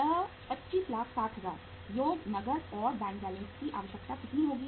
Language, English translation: Hindi, This is 25 lakhs and 60 thousands plus uh cash at bank balance requirement is how much